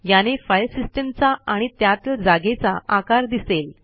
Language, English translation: Marathi, Here it shows the size of the File system, and the space is used